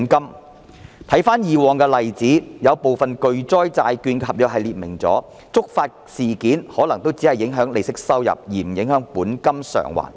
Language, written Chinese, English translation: Cantonese, 我回看過往的例子，有部分巨災債券的合約訂明了觸發事件可能只會影響利息收入，而不影響本金償還。, I have examined past examples it was stated in some contracts of catastrophe bonds that predefined trigger events would affect the interests payment but would not affect the principal repayment